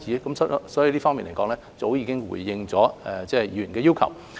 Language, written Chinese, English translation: Cantonese, 由此可見，我們在這方面早已經回應了議員的要求。, From this it can be seen that we have already responded to the Members request in this respect